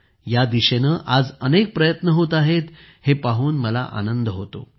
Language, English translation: Marathi, I am happy that, today, many efforts are being made in this direction